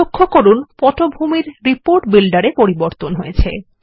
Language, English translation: Bengali, Notice that the background Report Builder has refreshed